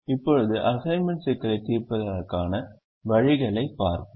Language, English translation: Tamil, now we will look at ways of solving the assignment problem now